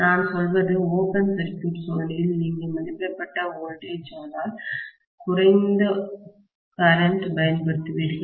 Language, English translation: Tamil, What I mean is in open circuit test you will apply rated voltage but lower current